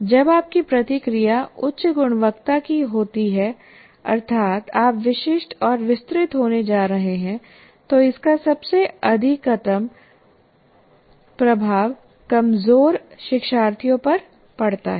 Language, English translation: Hindi, And when your feedback is of high quality that you are going to be very specific, very detailed, it has maximum impact on the weakest learners